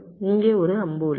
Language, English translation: Tamil, there is an arrow here, there is an arrow here